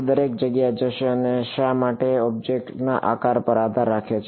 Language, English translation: Gujarati, It will go everywhere and why depending on the shape of the object